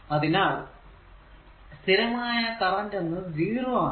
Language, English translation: Malayalam, So, at steady state current will be your 0